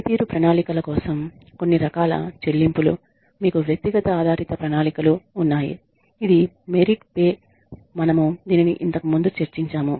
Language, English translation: Telugu, Some types of pay for performance plans you have individual based plans which is merit pay, we have discussed this earlier